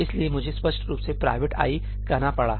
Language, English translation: Hindi, So, I had to explicitly say ëprivate ií